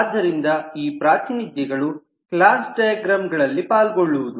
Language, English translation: Kannada, so we will see these representations take part in the class diagram